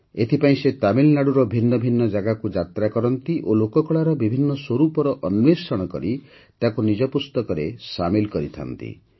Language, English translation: Odia, For this, he travels to different parts of Tamil Nadu, discovers the folk art forms and makes them a part of his book